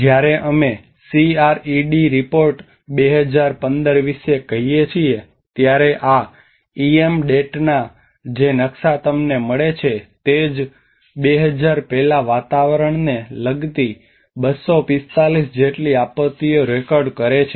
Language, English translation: Gujarati, When we say about from the CRED report 2015, this is what the map you get the EM DAT has recorded about 240 climate related disasters per year before 2000